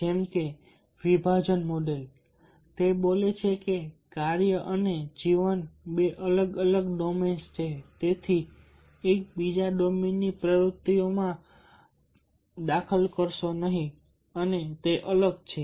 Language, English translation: Gujarati, the segmentation model speaks that work and life are two different domains so therefore one will not interfere with the activities in the other domain and they are separate